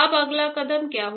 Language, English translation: Hindi, Now what is the next step